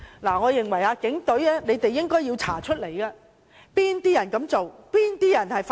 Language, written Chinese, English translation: Cantonese, 我認為警隊應要調查是哪些人做，是哪些人發動。, I think the Police should investigate it and find out who did that and who initiated the incident